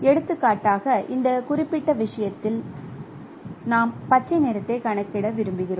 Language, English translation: Tamil, For example in this particular case say we would like to compute green